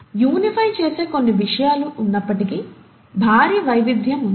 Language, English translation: Telugu, There are certain things which are unifying, yet there’s a huge diversity